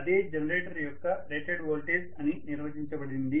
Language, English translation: Telugu, That is what is defined as the rated voltage of the generator